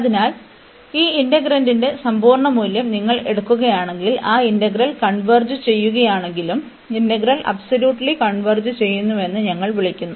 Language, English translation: Malayalam, So, if you if we take the absolute value of this integrand, and even though that integral converges we call that the integral converges absolutely